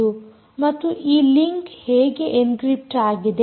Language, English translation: Kannada, ok, and how is this link encrypted